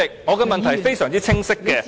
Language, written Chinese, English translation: Cantonese, 我的問題非常清晰。, My question is very clear